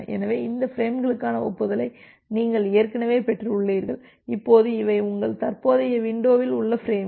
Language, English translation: Tamil, Well so, you have already received acknowledgement for this frames, now these are the frames in your current windows